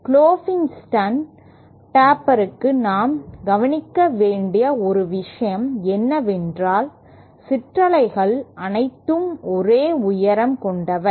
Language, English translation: Tamil, One thing we note for Klopfenstein taper is that the ripples are all of same height